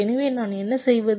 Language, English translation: Tamil, so what i do